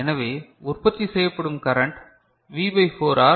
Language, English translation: Tamil, So, the current produced is V by 4R